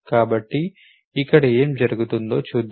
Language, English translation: Telugu, So, what is being done here let us see